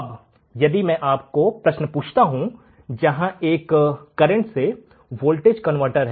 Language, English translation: Hindi, Now, if I want to show you problem where there is a current to voltage converter